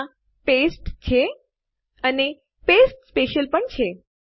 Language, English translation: Gujarati, There is a paste and also there is a Paste Special